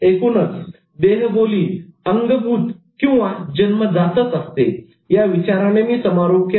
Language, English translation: Marathi, Overall I concluded with the thought that body language is innate